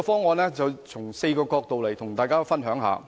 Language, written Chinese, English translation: Cantonese, 我從4個角度跟大家分享。, I will share with Members my view from four angles